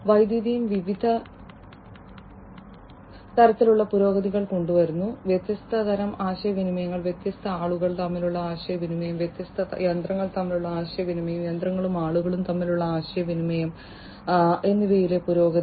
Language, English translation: Malayalam, Electricity, likewise, also bring brought in lot of different types of advancements; advancements in terms of different types of communications, communication between different people communication, between different machines, and between machine and people